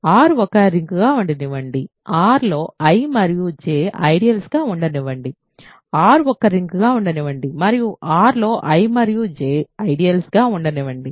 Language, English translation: Telugu, Let R be a ring, let I and J be ideals in R, let R be a ring and let I and J be ideals in R